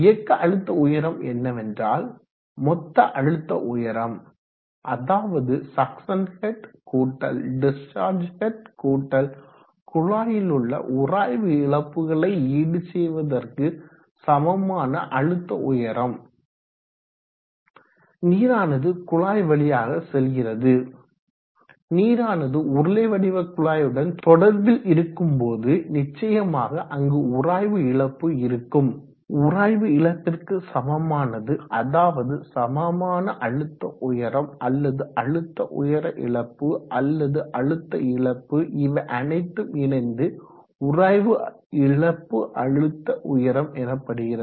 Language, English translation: Tamil, What dynamic head what dynamic head means is the total head plus where it is succession head plus the discharge head plus a head equaling to overcome pressure needed to overcome the friction losses in the pipe and water flows through the pipe water is in contact with the cylindrical pipe and there is defiantly going to be fiction loss and equivalent to that friction loss there is a equivalent head or head loss or pressure loss pressure drop all those things in terms of head it is HF